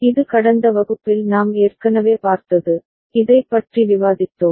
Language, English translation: Tamil, This we have already seen in the last class, we discussed this